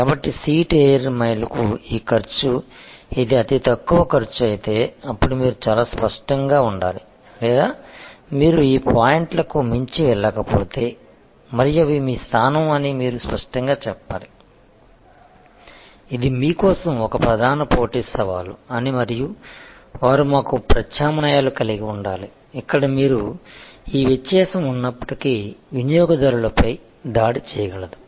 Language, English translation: Telugu, So, this cost per seat air mile, if this is the lowest cost then you have to be very clear that if you or not able to go beyond this points say and they this is your position then you should be clear that this is a major competitive challenge for you and they we have to have alternatives, where you will able to attack customers in spite of this difference